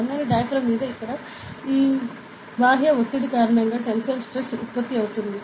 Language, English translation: Telugu, So, the here tensile stress will be produced due to this external pressure over here, on the thin diaphragm